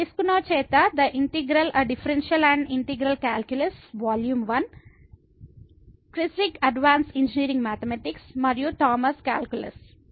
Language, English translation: Telugu, So, the integral a Differential and Integral calculus by Piskunov and this is Volume 1; the Kreyszig Advanced Engineering Mathematics and also the Thomas’ Calculus